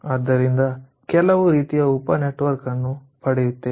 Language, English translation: Kannada, so you see, we are getting some sort of sub network